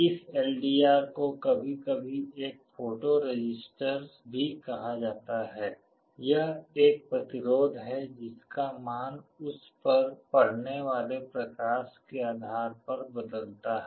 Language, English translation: Hindi, This LDR is sometimes also called a photo resistor; it is a resistance whose value changes depending on the light incident on it